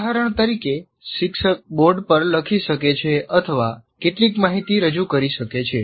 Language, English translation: Gujarati, For example, the teacher can write something or project some information